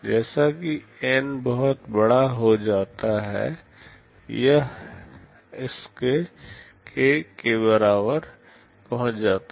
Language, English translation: Hindi, As N becomes very large this Sk approaches k